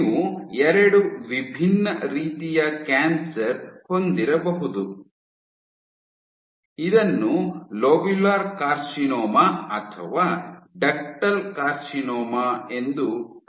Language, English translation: Kannada, You might have two different types of cancer which are called as either lobular carcinoma